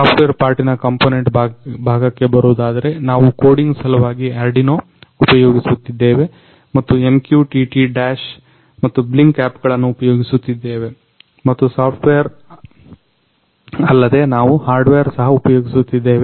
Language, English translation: Kannada, Coming to the components parts in the software part, we are using Arduino for coding and we are using MQTT Dash and Blynk apps and other than software we are using hardware